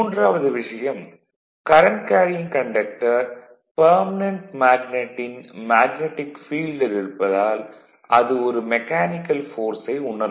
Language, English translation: Tamil, And because the current carrying conductor lies in the magnetic field of the permanent magnet it experiences a mechanical force that is called Lorentz force